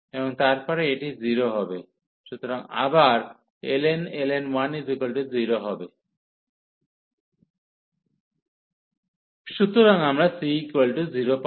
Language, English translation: Bengali, And then this is 0, so ln 1 is 0 again, so we get the c is equal to 0